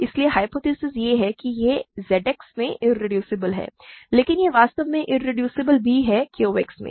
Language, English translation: Hindi, So, the hypothesis is that it is irreducible in Z X, but it is actually also irreducible in Q X